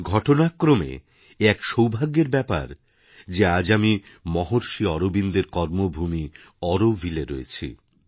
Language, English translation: Bengali, Coincidentally, I am fortunate today to be in Auroville, the land, the karmabhoomi of Maharshi Arvind